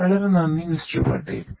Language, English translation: Malayalam, Patel, thank you so much